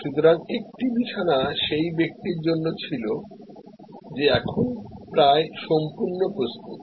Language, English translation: Bengali, So, one bed was for the person now almost fully prepared